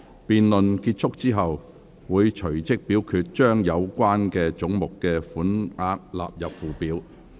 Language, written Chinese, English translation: Cantonese, 辯論結束後，會隨即表決將有關總目的款額納入附表。, We will proceed to vote on whether the sums for the relevant heads stand part of the Schedule immediately following the conclusion of the debate